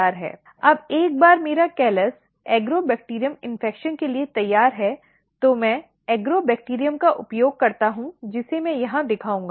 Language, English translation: Hindi, Now, once my callus is ready for Agrobacterium infection so, I use the Agrobacterium which I will show over here